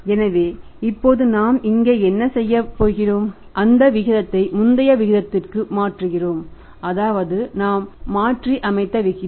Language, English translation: Tamil, So, now what is we are doing here we are converting that ratio to the previous ratio that this ratio we have reversed it